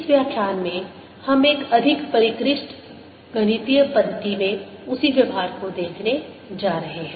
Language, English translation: Hindi, in this lecture we are going to see the same treatment in a more sophisticated mathematical method